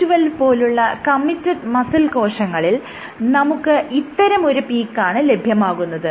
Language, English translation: Malayalam, When you do it for committed muscle cells C2C12 cells, what you see is